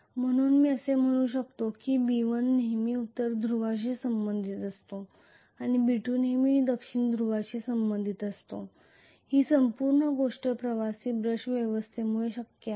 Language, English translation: Marathi, So I can say basically B1 is always affiliated to North Pole and B2 is always affiliated to South Pole this entire thing is possible because of commutator and brush arrangement